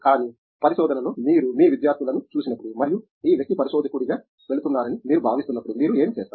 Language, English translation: Telugu, But, in research, what all do you look at as when you see your students and you feel that this person is going as a researcher